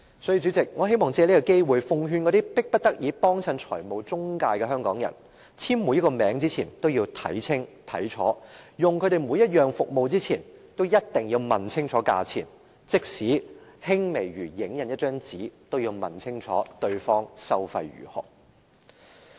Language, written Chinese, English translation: Cantonese, 因此，主席，我想藉着這個機會奉勸那些迫不得已光顧財務中介的香港人，在簽署每一個名之前都要看清楚，在使用這些公司任何服務前，也一定要問清楚價錢，即使輕微如影印一張紙，也要問清楚對方收費如何。, Hence President I would like to take this opportunity to advise the people of Hong Kong who have no choice but to patronize financial intermediaries to read all the documents carefully before they put down any signature . Before using the services of these companies they must ask clearly about the fees charged . Even as minor as making the photocopy of a page of document they should ask for a clear description of the fee to be charged